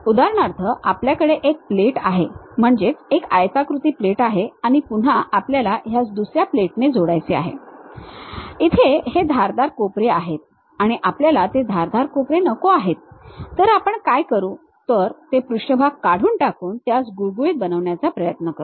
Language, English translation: Marathi, For example, we have a plate, a rectangular plate and again we want to join by another one, we have this sharp corners we do not want that sharp corners, what we do is we try to remove that surface make it something like smooth